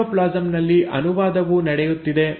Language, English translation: Kannada, The translation is also happening in the cytoplasm